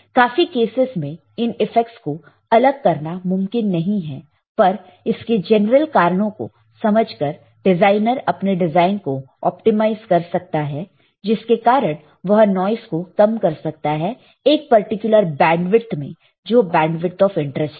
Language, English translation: Hindi, It is not possible most of the cases to separate the effects, but knowing general causes may help the designer optimize the design, minimizing noise in particular bandwidth of the interest, bandwidth of interest